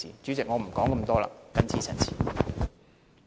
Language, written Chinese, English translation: Cantonese, 主席，我不再多說，謹此陳辭。, Chairman I shall stop here . I so submit